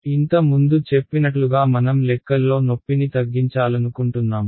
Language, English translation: Telugu, As I mentioned once again earlier we want to reduce pain in calculations